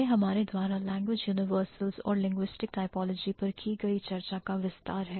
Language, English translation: Hindi, So, this is the extension of our discussion on language universals and linguistic typology